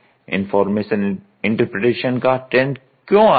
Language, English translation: Hindi, Information interpretation, Why is this trend coming